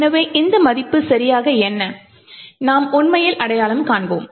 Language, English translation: Tamil, So, what exactly is this value, is what we will actually identify